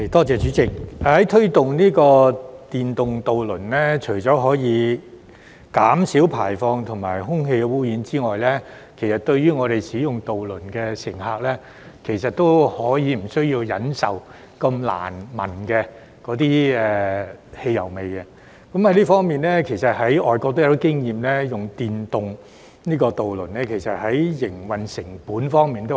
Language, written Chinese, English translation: Cantonese, 主席，推動電動渡輪除可減少排放和空氣污染外，亦令渡輪乘客無需再忍受難聞的汽油味，而外國也有些經驗是使用電動渡輪可以減省營運成本。, President promoting electric ferries will not only reduce emissions and air pollution but will also obviate the need of ferry passengers to put up with the foul smell of petrol . Some overseas experience also shows that the use of electric ferries may result in a reduction of the operating costs